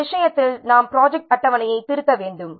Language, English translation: Tamil, In this case, we might have to require to revise the project schedule